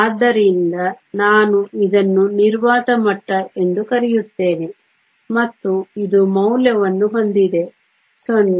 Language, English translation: Kannada, So, Let me call this the vacuum level and this has the value 0